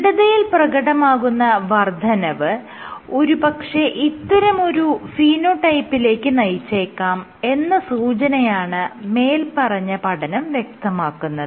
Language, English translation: Malayalam, So, this study suggested that your increase in stiffness might be leading to this phenotype